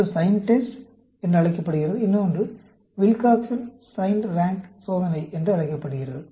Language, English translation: Tamil, One is called the Sign test; other is called the Wilcoxon Signed Rank Test